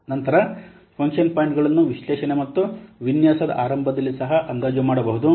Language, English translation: Kannada, Then function points they can also be estimated early analysis and design